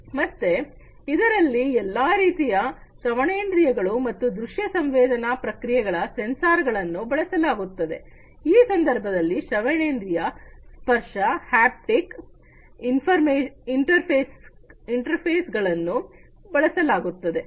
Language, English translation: Kannada, So, it incorporates auditory and visual sensory feedback all kinds of sensors are used in this case also auditory, visual, touch haptic interfaces are also used